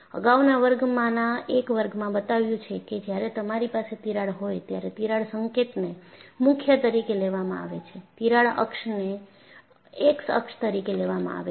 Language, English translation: Gujarati, And even, in one of our earlier class, we have shown that when you have a crack, I showed that crack tip is taken as the origin, crack axis is taken as the x axis